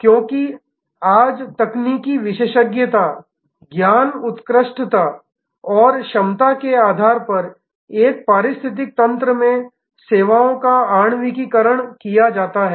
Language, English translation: Hindi, Because, today the services are molecularised across an ecosystem based on technical expertise, knowledge excellence and capability